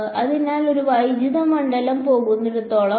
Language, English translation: Malayalam, So, that is as far as the electric field goes